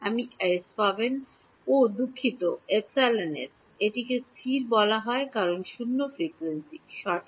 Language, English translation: Bengali, You will get es, oh sorry epsilon s, it is called static because of zero frequency right